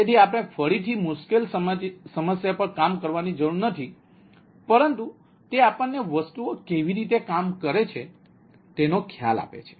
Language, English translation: Gujarati, so this we have to, ah, work on again, not a difficult problem, but it gives us a idea the how things works